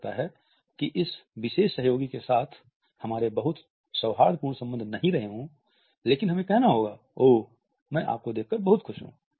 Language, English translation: Hindi, We did not have very cordial terms with this particular colleague, but we have to tell him “oh I am so happy to see you now”